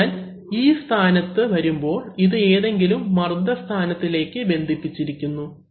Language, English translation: Malayalam, So therefore, when leave in this position this then this connected to some pressure point